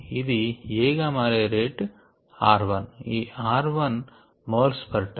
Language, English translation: Telugu, and it gets converted to b at the r two, moles per time